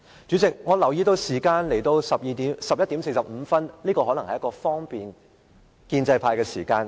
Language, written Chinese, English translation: Cantonese, 主席，我留意到現已11時45分，這可能是方便建制派休息的時間。, President I note that it is now 11col45 am . It may be a good time for the pro - establishment camp to take a break